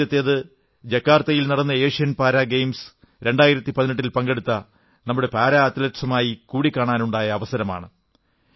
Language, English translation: Malayalam, First, I got an opportunity to meet our Para Athletes who participated in the Asian Para Games 2018 held at Jakarta